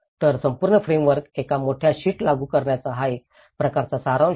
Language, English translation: Marathi, So, this is a kind of summary of applying the whole framework in one big sheet